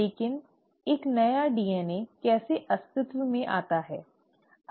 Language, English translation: Hindi, But how does a new DNA come into existence